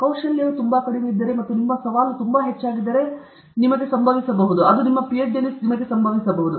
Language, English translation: Kannada, If the skill is very low and your challenge is very high, if your challenge is very, very high, then it can happen to you, it can happen to you in your Ph